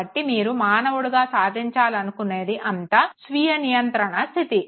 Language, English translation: Telugu, So, all you want to achieve as a human being is a self regulatory state